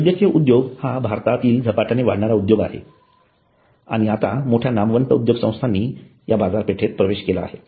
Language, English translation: Marathi, So the hospital industry is a fast growing industry in India and now big brands have entered into the market